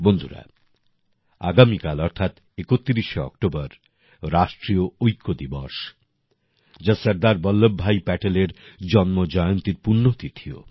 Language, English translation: Bengali, Friends, Tomorrow, the 31st of October, is National Unity Day, the auspicious occasion of the birth anniversary of Sardar Vallabhbhai Patel